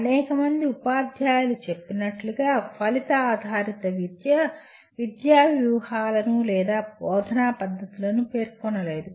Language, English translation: Telugu, Outcome based education as thought are stated by several teachers does not specify education strategies or teaching methods